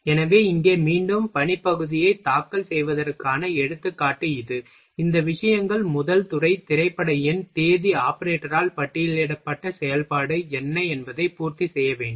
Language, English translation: Tamil, So, this is the example of filing of workpiece here again, these things should be fulfilled first department, film number, what is operation charted by date operator here